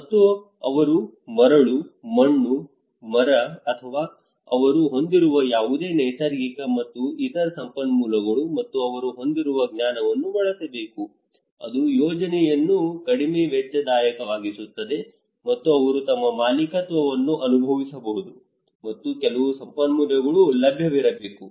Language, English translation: Kannada, And also the resources like they have sands muds these should be or trees whatever natural and other resources they have and knowledge they have that should be used it could be all makes the project more cost effective, and they can feel their ownership, and also there should be some resource available okay